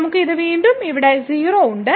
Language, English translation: Malayalam, So, we have here again this 0